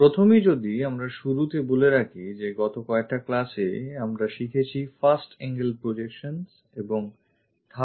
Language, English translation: Bengali, Just to begin with these projections as a summary, in the last classes we have learnt something about first angle projections and third angle projections